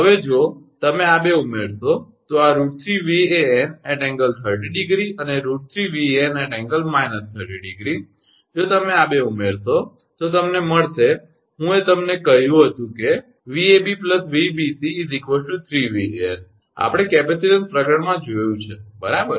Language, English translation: Gujarati, Now, if you add these 2 this root 3 Van angle 30 and root 3 Van angle minus 30, if you add these 2 then, you will get 3 I told you that Vab plus Vac is equal to 3 Van, we have seen in the capacitance chapter, right